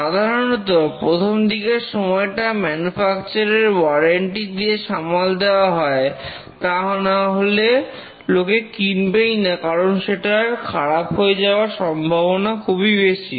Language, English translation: Bengali, Typically the initial part is covered by the manufacturer's warranty, otherwise people will not buy the hardware system because it is showing a very high failure rate